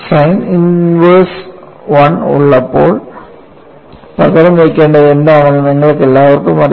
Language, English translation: Malayalam, You all know when you have sign inverse 1, what is it that you have to substitute